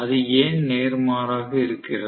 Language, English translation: Tamil, Why it is vice versa